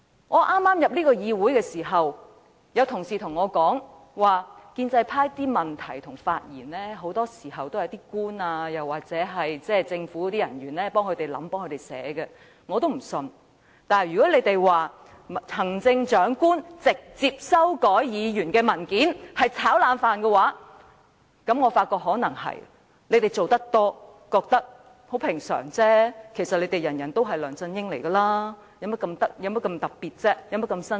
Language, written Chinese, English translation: Cantonese, 我剛進入議會時，曾有同事告訴我，建制派的質詢和發言很多時是由政府人員為他們撰寫，我聽到後也不大相信，但他們今天說我們指責行政長官直接修改議員的文件是"炒冷飯"，我便覺得這可能亦是事實，因為他們做得多，便認為輕鬆平常，其實他們每個人都是梁振英，所以有何特別、有何新鮮？, When I first joined this Council some colleagues told me that the questions and speeches of pro - establishment Members were very often written by government officials on their behalf I did not fully believe at that time . But today when they said that our accusation of the Chief Executive directly amending a Members document is repeating the same old stuff I believe that the above saying may be true . As they are so used to that practice it is no big deal to them